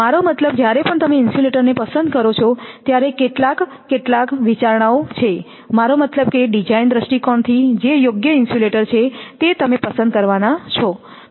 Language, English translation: Gujarati, I mean whenever you choose insulator then some as some consideration I mean from the design point of view right you have to choose